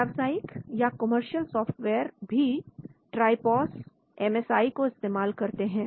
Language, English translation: Hindi, So the commercial softwares also use, Tripos, MSI